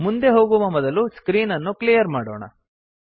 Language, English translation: Kannada, Before moving ahead let us clear the screen